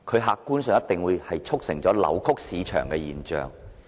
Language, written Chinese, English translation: Cantonese, 客觀上而言，這顯然促成扭曲市場的現象。, From an objective point of view the curb measures have apparently distorted the market